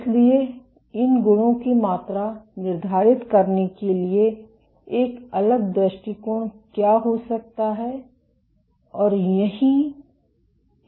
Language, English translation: Hindi, So, what might be a different approach to quantify the properties of these and that is where the AFM comes in handy